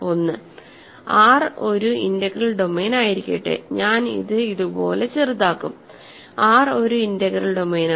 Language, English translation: Malayalam, 1 so, let R be an integral domain, I will shorten it like this let R be an integral domain